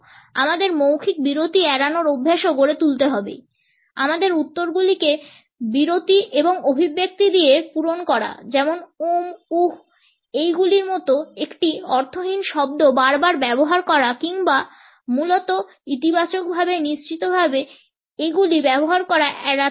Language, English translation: Bengali, We should also develop the habit of avoiding verbal pauses; filling our answers with pauses and expressions like ‘um’, ‘uh’s using a meaningless word repeatedly basically, positively, surely